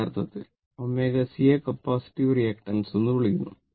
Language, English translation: Malayalam, Actually omega is C is called the capacitive reactance right